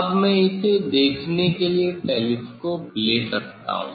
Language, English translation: Hindi, this now I can take telescope to see this one